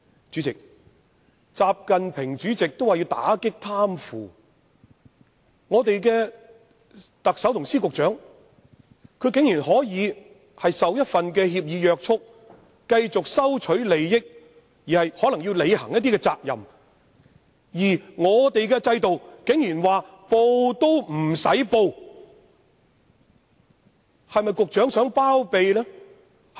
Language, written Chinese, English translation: Cantonese, 主席，習近平主席也表示要打擊貪腐，但我們的特首及司局長竟然可以受一份協議約束，繼續收取利益而可能要履行一些責任，而在本港制度下，他們竟然甚至不用申報。, President when even President XI Jingping announces his fight against corruption our Chief Executive Secretaries of Departments and Directors of Bureaux can be allowed to keep on receiving interests and possibly fulfil certain responsibilities under an agreement . They even do not have to declare this under the system in Hong Kong